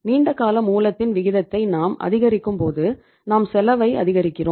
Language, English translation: Tamil, It means when you are increasing the proportion of long term sources it means you are increasing the cost